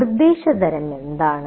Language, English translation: Malayalam, What is the instruction type